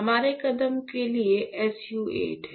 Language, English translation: Hindi, For our step is to have SU 8 right, SU 8